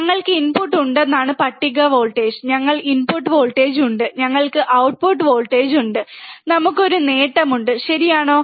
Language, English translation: Malayalam, Table is we have a input voltage, we have a input voltage, we have the output voltage, and we have a gain, correct